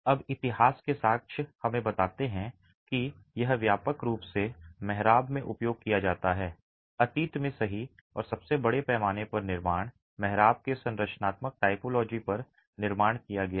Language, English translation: Hindi, Now, evidence from history tells us that this is widely used in arches and most massive constructions in the past have been constructed on the structural typology of arches